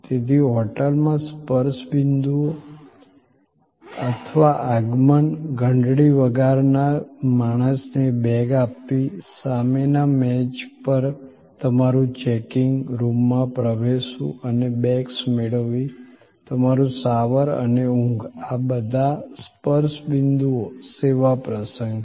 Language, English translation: Gujarati, So, the touch points or arrival at the hotel, your handling over of the bags to the bell person, your checking in at the front desk, your accessing the room and receiving the bags, your shower and sleep, all of these are touch points service events